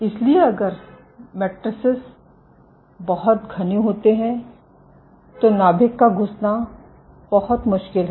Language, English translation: Hindi, So, if the matrices very dense it is very difficult for the nucleus to be squeezed